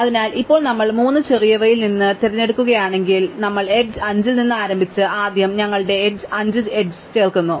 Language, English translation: Malayalam, So, now if we pick among these the smallest one, we start with edge 5 we first add the edge 5 to our tree